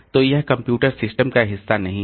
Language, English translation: Hindi, So, this is not no more part of the computer system